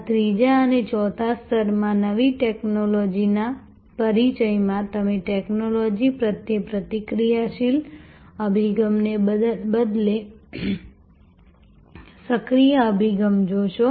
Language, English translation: Gujarati, In introduction of new technology in these the 3rd and 4th level, you see a proactive approach rather than a reactive approach to technology